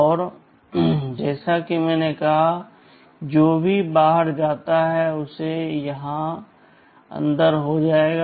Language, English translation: Hindi, And, rotate as I said whatever goes out will be getting inside here